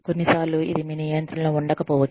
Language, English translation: Telugu, Sometimes, it may be out of your control